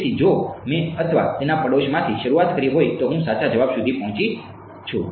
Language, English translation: Gujarati, So, if I started from 0 0 or its neighborhood I reach the correct answer